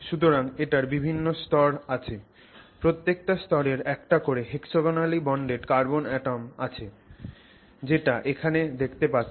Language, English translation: Bengali, So, you have different layers, each layer has hexagonally bonded carbon atoms so you can see here